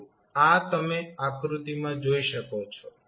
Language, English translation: Gujarati, So, this you can see from the figure